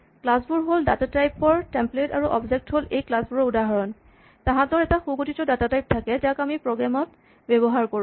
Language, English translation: Assamese, Classes are templates for data types and objects are instances of these classes they have a concrete data types which we use in our program